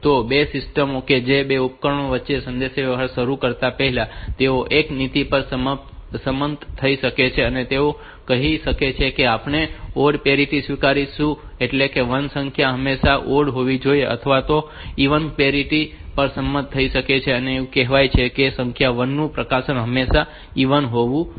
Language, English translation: Gujarati, So, two systems that, the two devices before starting the communication they can agree upon the policy like they can say that we will accept odd parity means the number of 1 s transmitted must be odd always odd or they may agree upon an even parity they are telling that number 1 s transmitted is always even